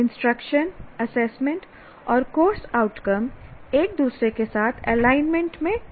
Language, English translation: Hindi, So, assessment instruction and course outcome should be in alignment with each other